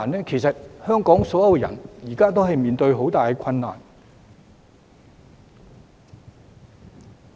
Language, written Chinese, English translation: Cantonese, 其實，現時所有香港人也正面對着很大困難。, In fact all the people of Hong Kong are currently faced with great difficulties